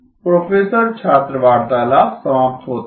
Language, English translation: Hindi, “Professor student conversation ends